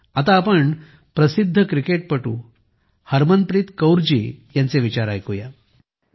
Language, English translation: Marathi, Come, now let us listen to the famous cricket player Harmanpreet Kaur ji